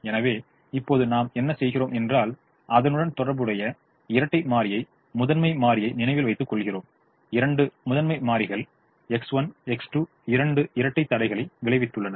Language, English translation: Tamil, so what we do now is we just map the corresponding dual variable to the primal variable, remembering that the two primal variables, x one, x two, resulted in two dual constraints which resulted in two dual slack variables